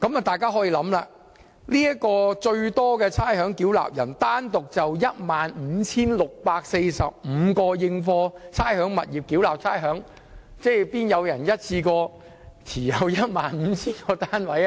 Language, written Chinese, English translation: Cantonese, 大家可以想象，這名差餉繳納人單獨就 15,645 個應課差餉物業繳納差餉，怎可能有個人一次過持有超過 15,000 個單位？, As we can imagine this ratepayer alone has paid rates on 15 645 rateable properties . How can one individual hold over 15 000 units at the same time?